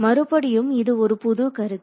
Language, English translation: Tamil, So, again this is a new concept